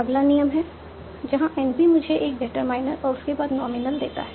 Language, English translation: Hindi, Next rule is NP gives you determiner followed by a nominal